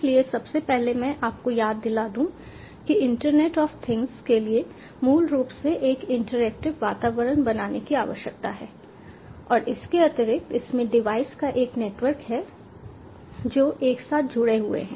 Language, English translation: Hindi, so first of all, ah two, recapitulate: internet of things basically needs to create an interactive environment and additionally, it has a network of devices which are connected together